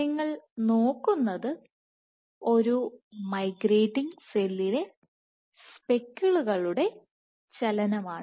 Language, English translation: Malayalam, So, what you are looking at is speckle movement in a migrating cell